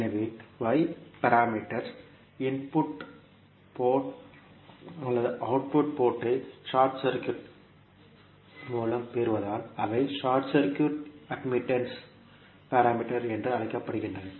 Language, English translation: Tamil, So, since the y parameters are obtained by short circuiting the input or output ports that is why they are also called as the short circuit admittance parameters